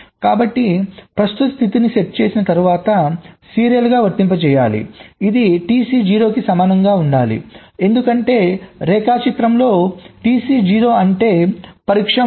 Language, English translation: Telugu, so the present state has to be applied serially after setting ah, this should be t c equals to zero, because in diagram t c zero means test mode